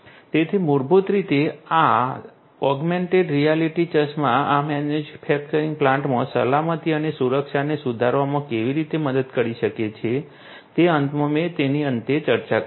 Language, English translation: Gujarati, So, this is basically how you know these augmented reality glasses could help in improving the safety and security in these manufacturing plants is what I discussed at the end